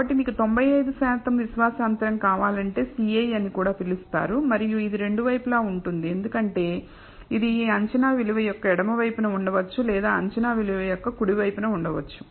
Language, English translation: Telugu, So, if you want a 95 percent confidence interval also known as CI and it is two sided because it could be either to the left of this estimated value or to the right of the estimated value